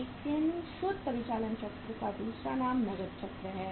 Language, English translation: Hindi, But the net operating cycle’s another name is cash cycle